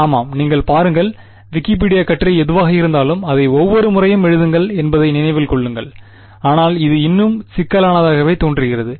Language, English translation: Tamil, Yeah, you just look up the Wikipedia article whatever and remember write it down each time, but I mean this still looks complicated